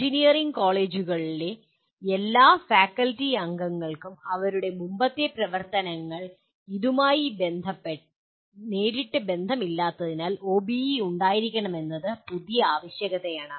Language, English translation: Malayalam, And this is, this particular requirement of having OBE is a new requirement for all faculty members of engineering colleges as their earlier activities were not directly related to this